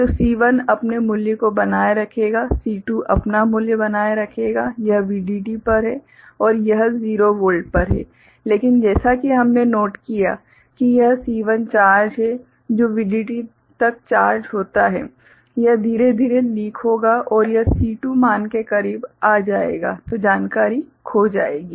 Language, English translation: Hindi, So, C1 will maintain its value, C2 will maintain its value, this is at VDD and this is at 0 Volt but as we have noted that it is C1 charge which is which is charged up to VDD it will gradually leak and it will come closer to the C2 value then the information will be lost